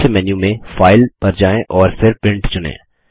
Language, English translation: Hindi, From the Main menu, go to File, and then select Print